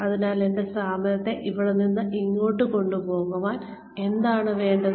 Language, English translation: Malayalam, So, what do I need to take my organization, from here to here